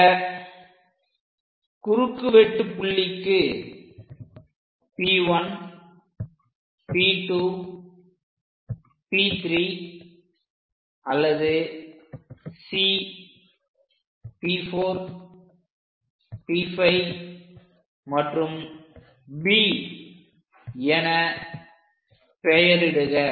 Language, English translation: Tamil, So, these points we will name it as P 1, P 2, P 3, this is P 3 which is already C, P 4, P 5, and B and so on